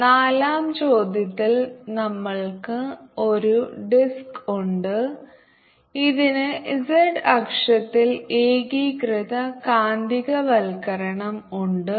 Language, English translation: Malayalam, in question number four, we have a disc which has the information magnetization along the z axis